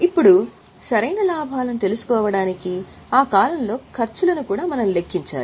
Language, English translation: Telugu, To know the correct profits, we should also account for costs in that period